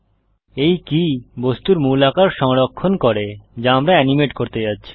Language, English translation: Bengali, This key saves the original form of the object that we are going to animate